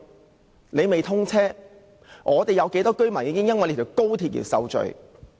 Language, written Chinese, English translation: Cantonese, 即使尚未通車，本港有多少居民已因為興建高鐵而受罪？, Even before XRLs commissioning how many Hong Kong residents have already been victimized by its construction?